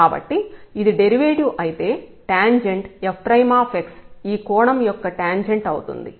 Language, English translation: Telugu, So, if this is the derivative so, the tangent f prime x is nothing, but the tangent of this angle